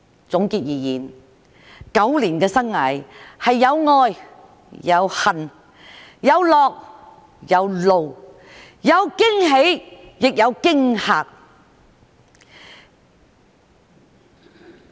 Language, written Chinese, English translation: Cantonese, 總結而言 ，9 年的生涯是有愛、有恨、有樂、有怒、有驚喜亦有驚嚇。, To sum up these years are a mixture of love hate happiness and anger . There have been pleasant surprises and also frightening surprises